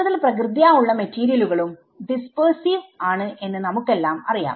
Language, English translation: Malayalam, So, we all know that most natural materials are dispersive right